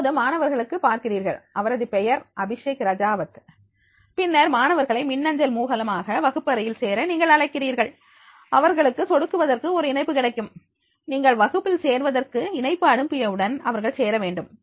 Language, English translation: Tamil, Now here you see that is like for the students, now his name is given the Abhishek Rajavat and then you will find the invite the students via email to join your class and they will get a link to click on, so as soon as they, you will go through this join your class and they will get a link to that is the yes they have to join